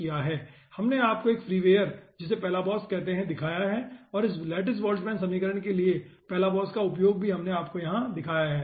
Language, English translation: Hindi, we have also shown you 1 free wire, call palabos, and the use of balabos for this lattice boltzmann equation we have showed you